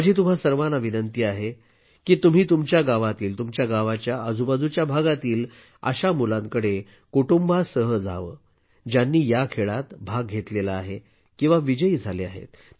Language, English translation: Marathi, I also urge you all to go with your family and visit such children in your village, or in the neighbourhood, who have taken part in these games or have emerged victorious